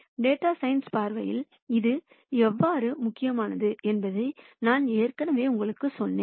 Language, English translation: Tamil, And I already told you how this is important from a data science viewpoint